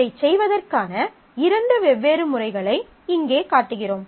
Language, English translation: Tamil, So, I show you two different methods of doing this